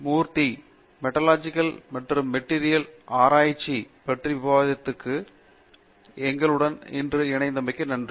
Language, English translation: Tamil, Murty, who is joining us here today for discussion on Metallurgical and Materials Engineering